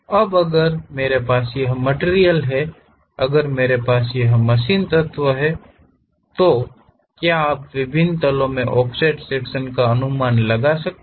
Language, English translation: Hindi, Now, if I have this material, if I have this machine element; can you guess offset section at different planes